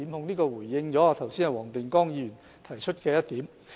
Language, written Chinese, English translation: Cantonese, 這回應了黃定光議員剛才提出的一點。, This has addressed the point raised by Mr WONG Ting - kwong earlier